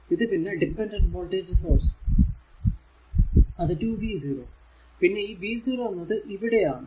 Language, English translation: Malayalam, And this is a dependent voltages 2 v 0 and this v 0 is here , right